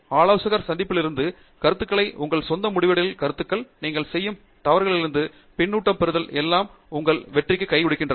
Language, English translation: Tamil, Feedback from your meetings with the advisor, feedback from your own results, feedback from the mistakes that you make; everything, even your success gives you a feedback, everything